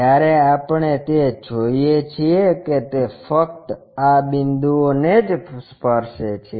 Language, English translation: Gujarati, When we are looking at that it just touch at this points